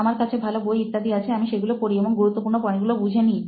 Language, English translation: Bengali, I have good books and all; I just go through them like important points